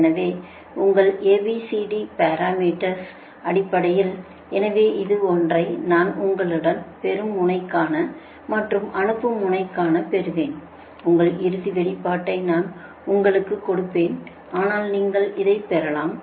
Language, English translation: Tamil, so in terms of youre a, b, c, d parameter, so this one, i will get it for you for the receiving end one and sending one, i will give you the, your final expression